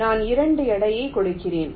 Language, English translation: Tamil, so i give a weight of two